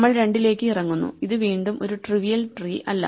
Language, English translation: Malayalam, We come down to two this is again not at a trivial tree